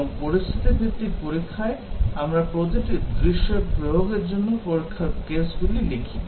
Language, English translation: Bengali, And, in scenario based testing, we just write test cases to execute each scenario